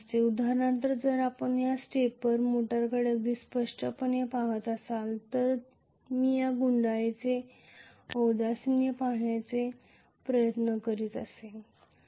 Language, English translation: Marathi, For example if we have looked at this stepper motor very clearly if I am trying to look at the inductance of this coil